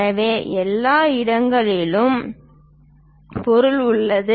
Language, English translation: Tamil, So, inside everywhere material is there